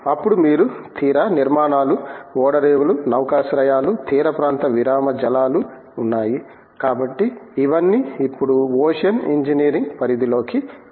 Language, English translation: Telugu, Then you have the coastal structures, ports, harbours, coastal break waters so all these have now come under the Umbrella of Ocean Engineering